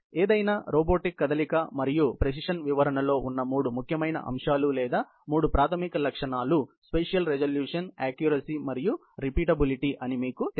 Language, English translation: Telugu, And you know, the three important aspects or three basic features, which are there in any robotic movement and precision description, is spatial resolution, accuracy and repeatability